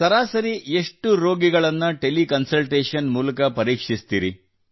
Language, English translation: Kannada, On an average, how many patients would be there through Tele Consultation cases